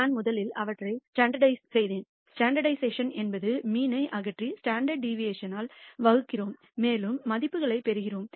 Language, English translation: Tamil, I first standardized them, standardization means we remove the mean and divide by the standard deviation and we get the values